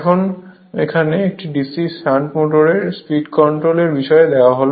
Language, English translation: Bengali, Now, if you look into that the speed control of a DC shunt motor right